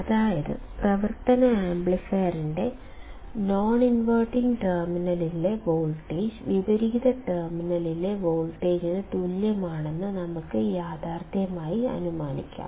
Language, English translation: Malayalam, That means, that we can realistically assume that the voltage at the non inverting terminal of the operational amplifier is equal to the voltage at the inverting terminal